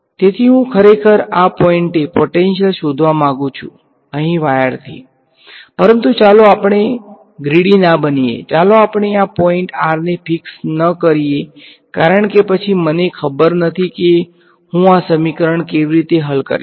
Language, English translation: Gujarati, So, I will not be greedy I actually want the potential at this point over here away from the wire, but let us not be so greedy; let us not fix r to be this point because then, I do not know how will I solve this equation